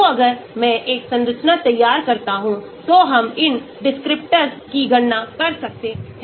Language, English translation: Hindi, so if I draw a structure, we can calculate these descriptors